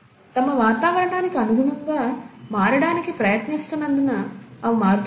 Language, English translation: Telugu, Is it because it is changing because they are trying to adapt to their environment